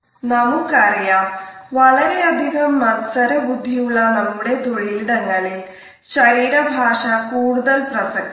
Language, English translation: Malayalam, We would find that in our highly competitive professions body language has become more and more important